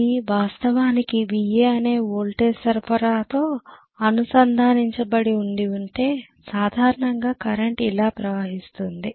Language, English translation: Telugu, If it is actually connected to a voltage supply which is the VA like this right, normally the current is going to flow like this right